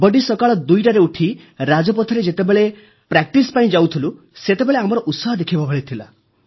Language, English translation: Odia, When We used to get up at 2 in the morning to go and practice on Rajpath, the enthusiasm in us was worth seeing